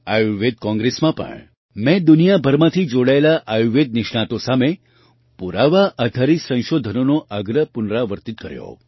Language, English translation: Gujarati, Even in the Ayurveda Congress, I reiterated the point for evidence based research to the Ayurveda experts gathered from all over the world